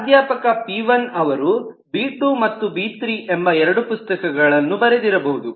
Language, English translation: Kannada, professor p1 has written two books, b1 and b2